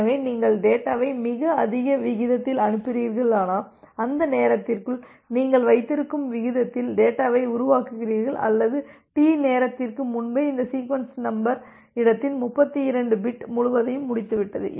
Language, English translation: Tamil, So that means, if you are sending data at a very high rate it may happen that you are generating the data in such a rate that you have within that time duration T or even before the time duration T you have finished this entire 32 bit of sequence number space